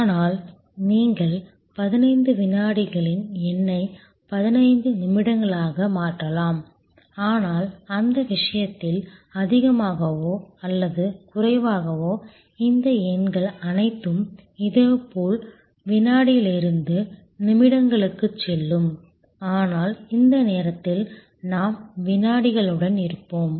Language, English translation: Tamil, But, you can change the number 15 seconds can become 15 minutes, but in that case more or less all of these numbers will also similarly go from second to minutes, but at the moment let us stay with the seconds